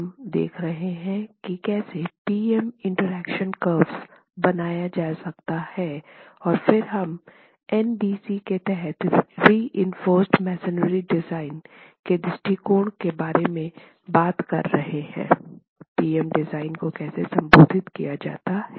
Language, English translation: Hindi, We've been looking at how PM interaction curves can be made and then we've been talking about within the approach to reinforce masonry design with respect to NBC, how the PM design is addressed